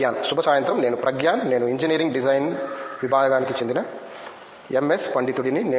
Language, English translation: Telugu, Good evening I am Pragyan, I am a MS scholar from department of engineering design